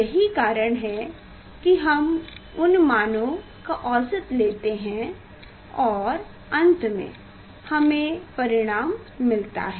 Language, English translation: Hindi, that is how we take average of those values and finally, we get the answer